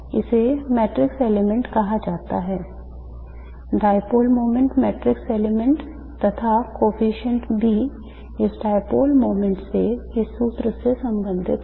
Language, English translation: Hindi, This is called the matrix element, dipole moment matrix element and the coefficient B is related to this dipole moment by this formula